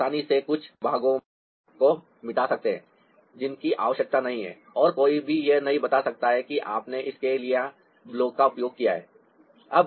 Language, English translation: Hindi, so, ah, you can easily ah, erase out certain part that are not needed and nobody can make out that you have used a block for this